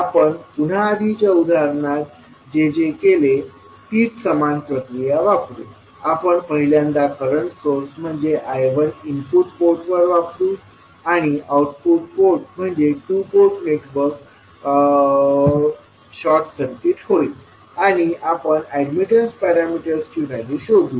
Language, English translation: Marathi, We will again apply the same procedure which we did in the previous example, we will first apply current source that is I 1 at the input port and we will short circuit the output port that is the right side port of the two port network and we will find out the values of admittance parameters